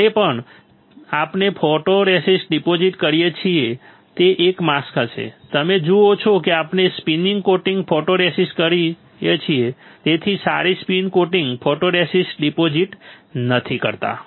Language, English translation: Gujarati, Whenever we are depositing a photoresist that will be one mask; you see we are spin coating photoresist so, not depositing sorry spin coating photoresist